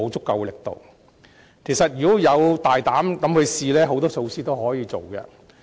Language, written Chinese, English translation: Cantonese, 其實，只要我們大膽嘗試，有很多措施是可以推行的。, In fact there are quite a number of options available if we dare to make some bold attempts